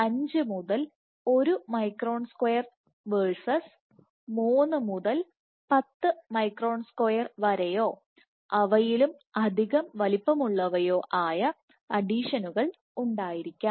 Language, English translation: Malayalam, 5 to 1 micron square versus 3 to 10 micron square or even larger